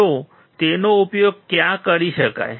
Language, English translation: Gujarati, So, where can it be used